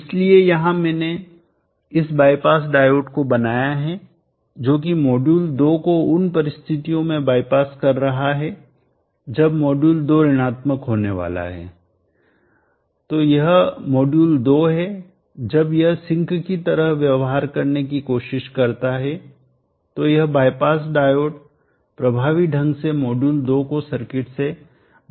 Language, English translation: Hindi, So here I have drawn this bypass diode here which is I passing module 2 under conditions when the module 2 starts going negative, that is module 2 when it try to behave like a sink is bypass would effectively take module2 out of the circuit